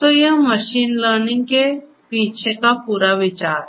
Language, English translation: Hindi, So, this is the whole idea behind machine learning